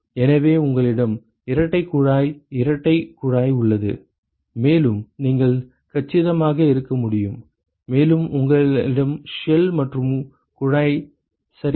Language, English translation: Tamil, So, you have double pipe double pipe, and you can have compact, and you have shell and tube ok